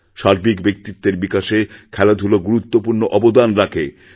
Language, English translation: Bengali, There is a great significance of sports in overall personality development